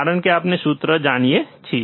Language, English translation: Gujarati, Because that we know the formula